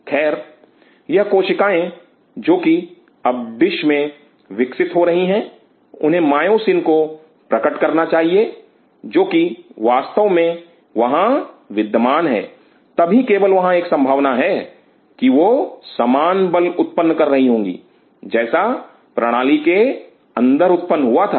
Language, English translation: Hindi, So, these cells which are growing in the dish now, should express those myosin’s which are really present here, then only there is a possibility that they will be generating the similar force as generated inside the system